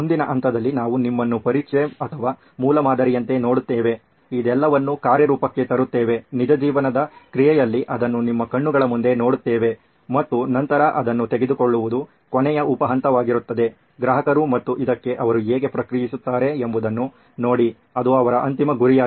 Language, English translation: Kannada, We will see you in the next stage which is test or prototyping, putting all this in action, in real life action, seeing it for yourself in front of your eyes and then of course the last sub step would be to take it to the customers and see how they react to this which is their eventual goal